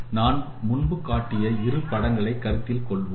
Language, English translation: Tamil, See these are the two images which we earlier displayed